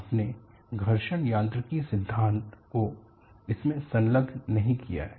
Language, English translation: Hindi, You have not attached the fraction mechanics theory to it